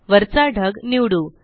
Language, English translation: Marathi, Let us select the top cloud